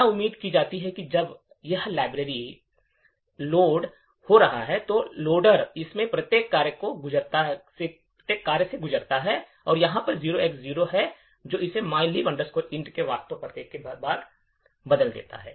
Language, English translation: Hindi, So what is expected is that when this library gets loaded, the loader would pass through each of this functions and wherever there is 0X0 it would replace that with the actual address of mylib int